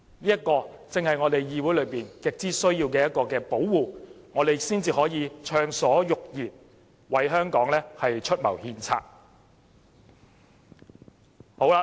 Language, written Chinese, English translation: Cantonese, 這正是議會很需要的一種保護，讓我們能暢所欲言，為香港出謀獻策。, This is the kind of protection the Council really needs as this provides the room for us to freely offer advice and counsel for Hong Kong